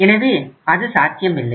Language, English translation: Tamil, So that is not possible